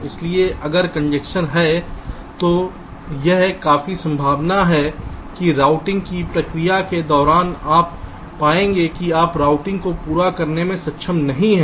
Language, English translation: Hindi, so if there is a congestion, it is quite likely that during the process of routing you will find that you are not able to complete the routing at all